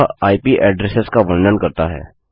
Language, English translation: Hindi, It deals with IP addresses